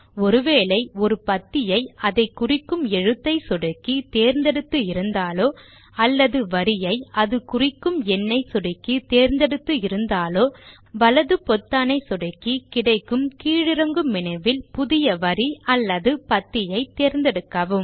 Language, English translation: Tamil, If you have selected a column by clicking the Alphabet that identifies it or a row by the Number that identifies it, then right click and choose the Insert Columns or Insert Rows option in the drop down menu that appears, in order to add a new column or row